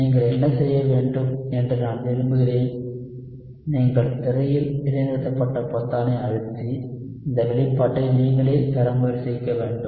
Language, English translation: Tamil, So, what I want you to do is I want you to press the pause button on the screen and try to derive this expression yourself